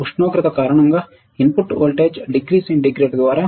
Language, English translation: Telugu, Let us see input voltage due to temperature rises 0